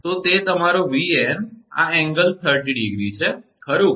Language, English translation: Gujarati, So, that is your Van this angle is 30 degree, right